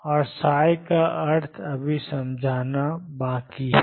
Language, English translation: Hindi, And meaning of psi is yet to be understood